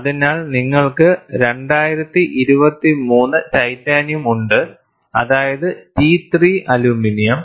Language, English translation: Malayalam, So, you have a 2023 Titanium, that is T 3 aluminum